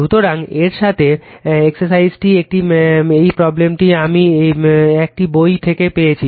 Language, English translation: Bengali, So, with this , this exercise is one exercise given this problem I have got from some book